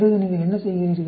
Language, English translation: Tamil, Then what do you do